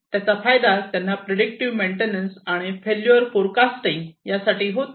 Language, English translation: Marathi, So, basically they are able to perform predictive maintenance and failure forecasting